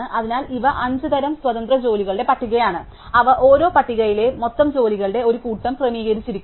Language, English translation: Malayalam, So, these are kind of five independent list of jobs, which together makeup the total set of jobs at each list is sorted